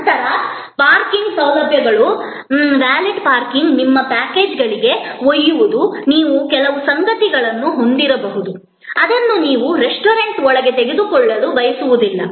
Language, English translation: Kannada, Then, the parking facilities, valet parking, a carrying for your, you know packages, which you may have certain stuff, which you do not want to take inside the restaurant